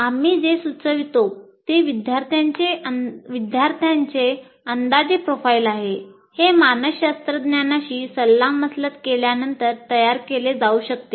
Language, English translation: Marathi, So what we suggest is an approximate profile of the students, this can be created after consulting a psychologist